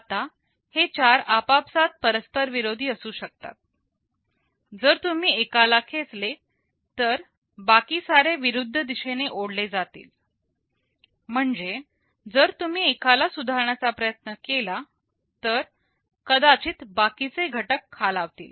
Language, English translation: Marathi, Now, these four can be mutually conflicting; if you pull one, the others will be pulled in the reverse direction, means if you want to improve one maybe the others might get degraded